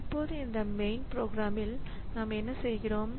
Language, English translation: Tamil, Now in in this main program what we are doing